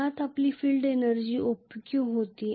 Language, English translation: Marathi, Originally our field energy was OPQ